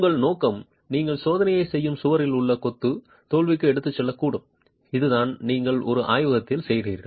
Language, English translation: Tamil, Your intention is not to take the masonry in the wall that you are testing to failure, which is what you do in a laboratory